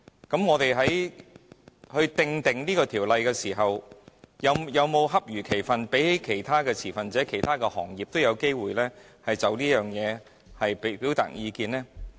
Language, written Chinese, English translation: Cantonese, 當我們訂定《條例草案》時，有否恰如其分地讓其他持份者或其他行業也有機會就此表達意見呢？, When drafting the Bill did the authorities ever give other stakeholders or other industries any appropriate opportunities to express their views?